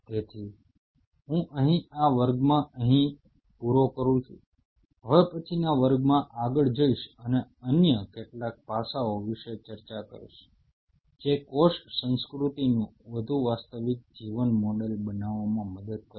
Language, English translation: Gujarati, So, I will close in here for these classes in the next class well go further and discuss about some of the other aspects which will help to have a much more real life model of cell culture